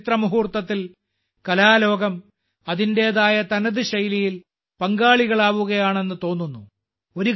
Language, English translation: Malayalam, It seems that the art world is becoming a participant in this historic moment in its own unique style